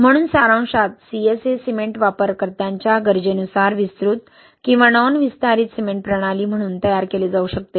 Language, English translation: Marathi, So, in summary CSA cement can be formulated as expansive or non expansive cement system based on users requirement